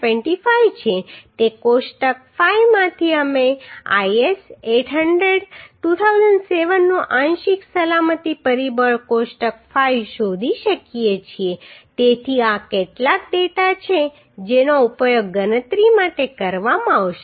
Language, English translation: Gujarati, 25 from table 5 we can find out this partial safety factor table 5 of IS800 2007 so these are the some data which will be used for calculation of the design details right